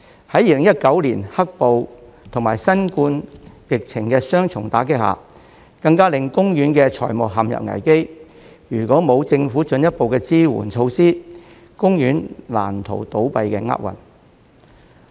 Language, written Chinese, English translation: Cantonese, 在2019年"黑暴"及新冠疫情的雙重打擊下，更令公園的財務陷入危機，如果沒有政府進一步的支援措施，公園難逃倒閉的厄運。, Due to the double blow of the riots and the COVID - 19 pandemic in 2019 OP even sank into a financial crisis . Had there not been further support measures introduced by the Government OP would not have been able to avert the fate of closure